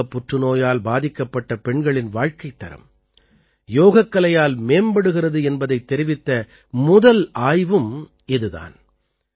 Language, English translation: Tamil, Also, this is the first study, in which yoga has been found to improve the quality of life in women affected by breast cancer